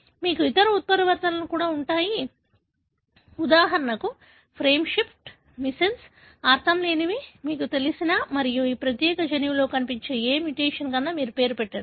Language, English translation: Telugu, You also have other mutations, for example frame shift, missense, nonsense,you name any mutation that you know and would find in this particular gene